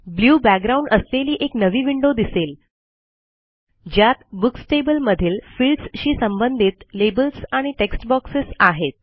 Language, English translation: Marathi, Now, we see a new window with a blue background with labels and text boxes corresponding to the fields in the Books table